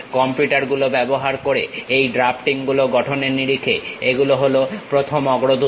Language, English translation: Bengali, These are the first pioneers in terms of constructing these drafting using computers